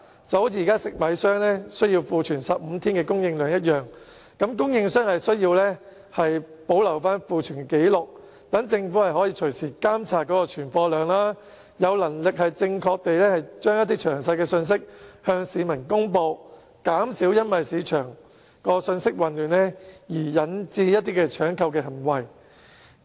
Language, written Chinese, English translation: Cantonese, 就像現時食米商須庫存15天供應量一樣，供應商同時須保留庫存紀錄，讓政府可隨時監察存貨量，向市民發放詳細而正確的信息，減少市場因信息混亂而引致出現搶購行為。, For instance rice traders are now required to keep a stock of 15 days . Meanwhile rice suppliers are required to keep records of its stock so that the Government can monitor the amount of stock at any time in order to disseminate detailed and accurate messages to members of the public with a view to minimizing panic buying caused by confusing messages